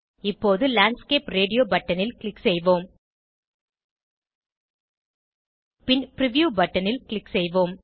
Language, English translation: Tamil, Now, lets click on Landscape radio button and then click on Preview button